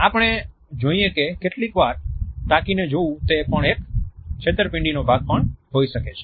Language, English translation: Gujarati, Sometimes we would find that a staring can also be a part of deception